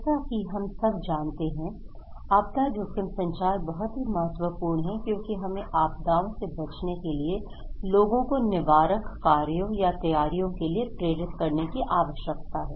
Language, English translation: Hindi, We know that disaster risk communication is very important because we need to motivate people to take preventive actions or preparedness against disasters